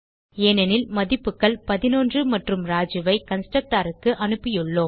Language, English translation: Tamil, Because we have passed the values 11 and Raju the constructor